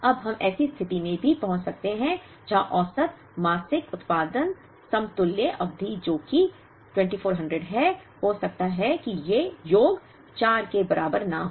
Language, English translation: Hindi, Now, we could also get into a situation where, the average monthly production the equivalent term which is 2400, may not be equal to the sum of these 4